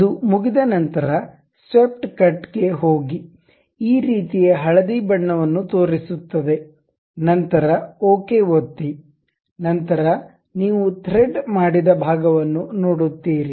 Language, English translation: Kannada, Once it is done go to swept cut it shows this kind of yellowish tint, then click ok, then you see the threaded portion